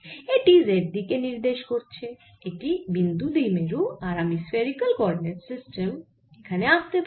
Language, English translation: Bengali, this is a point dipole and i can also draw the spherical coordinate system here